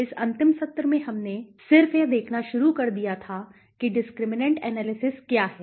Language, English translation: Hindi, In this last session, we had just started with an overview of what is discriminant analysis